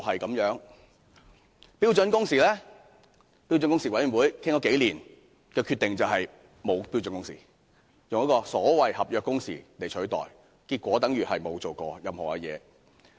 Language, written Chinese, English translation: Cantonese, 至於標準工時，標準工時委員會商討數年所得的決定，就是沒有標準工時，只以所謂的"合約工時"來取代，結果等於甚麼也沒做過。, Regarding his commitment in regard to standard working hours the Standard Working Hours Committee came to the conclusion after several years of discussion that there would not be standard working hours and the so - called contractual working hours was recommended as a substitute . As a result nothing has been achieved